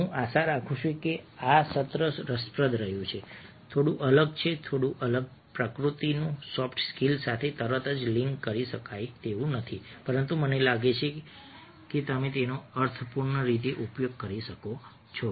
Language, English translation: Gujarati, i hope that a this session has been interesting, slightly different, slightly of a different nature, not immediately linkable to soft skills, but i have a feeling that you can make use of it in a meaningful way